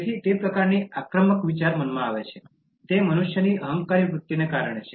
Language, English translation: Gujarati, So that kind of aggressive thinking comes in the mind; that is because of the human beings’ egoistic tendency